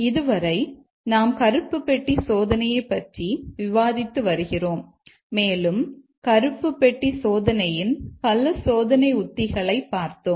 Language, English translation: Tamil, So, far we have been discussing black box testing and we looked at several test strategies of black box testing